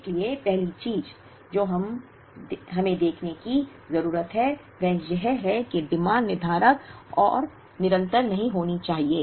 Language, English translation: Hindi, So, first thing we need to look at is, the demand need not be deterministic and continuous